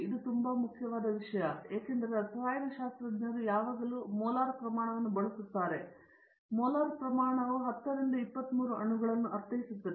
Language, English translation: Kannada, This is a very, very important thing because chemists are always using the molar quantities, molar quantities means 10 to the of 23 molecules